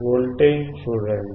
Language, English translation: Telugu, See the voltage